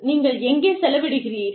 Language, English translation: Tamil, Where do you spend